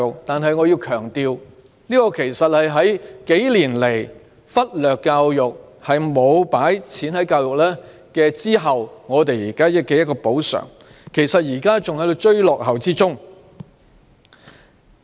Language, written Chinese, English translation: Cantonese, 但是，我要強調，這是對數年來忽略教育、沒有投放資源作出的補償，現時還在"追落後"當中。, However I would like to emphasize that the current - term Government is merely compensating for the negligence and lack of investment in education over the past few years and it is now trying to play catch - up